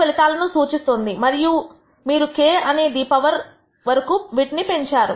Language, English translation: Telugu, I represents the outcome and k is the power to which you have raised